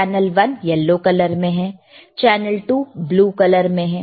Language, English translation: Hindi, Channel one is yellow color, channel 2 is blue color, right